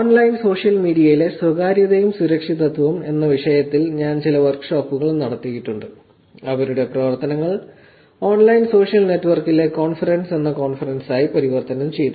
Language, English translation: Malayalam, I have done some workshops around the topic of privacy and security in online social media whose work converted into a conference called a conference on online social network